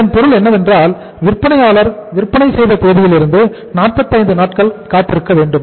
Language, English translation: Tamil, It means from the date of sales we the seller has to wait for 45 days